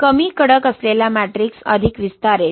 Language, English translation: Marathi, A matrix which is less stiff will expand more, right